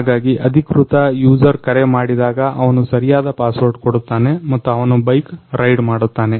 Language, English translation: Kannada, So, when the authorized user will call he will give the right password and he will ride the bike